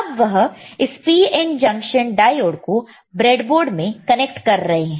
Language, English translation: Hindi, Now he is connecting PN junction diode to the breadboard